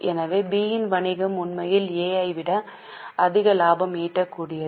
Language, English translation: Tamil, So, B is business is actually more profitable than that of A